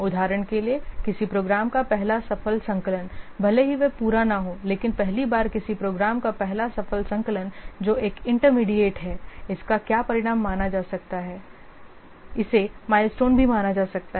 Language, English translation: Hindi, For example, the first successful compilation of a program, even if it is not the completed one, but first time the first successful compilation of a program which is an intermediate what result, it can also be considered